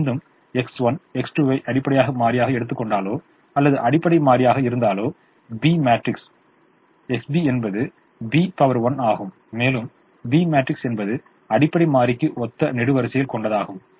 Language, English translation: Tamil, once again, if x one x two are the basis, if x one x two happened to be the basis than the b matrix, x b is b, inverse b, then the b matrix are the columns corresponding to the basis